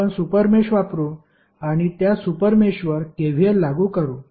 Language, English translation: Marathi, We will use the super mesh and apply KVL to that super mesh